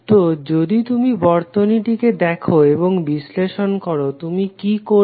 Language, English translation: Bengali, So, if you see the circuit and analyse, what you will do